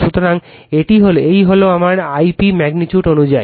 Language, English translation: Bengali, So, this is my I p magnitude wise right